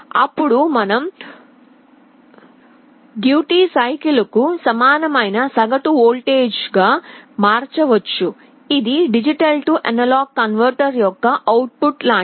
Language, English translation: Telugu, We can convert the duty cycle into an equivalent average voltage which is like the output of a D/A converter